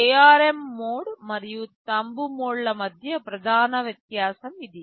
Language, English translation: Telugu, This is the main difference between the ARM mode and the Thumb mode